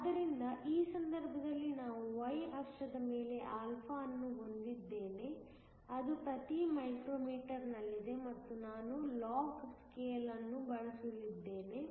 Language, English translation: Kannada, So, in this case I have α on a y axis, which is in per micro meter and I am going to use a log scale